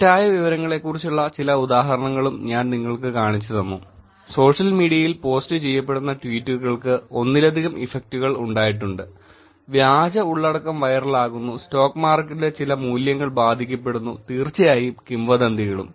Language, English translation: Malayalam, And I also showed you some examples about Misinformation; tweets that were being posted on social media and there have been multiple effects of it; fake content getting viral, some values on the stock market getting affected and of course rumours also